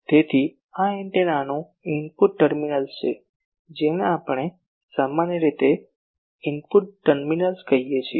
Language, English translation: Gujarati, So, this is the input terminal of the antenna generally we call this the input terminals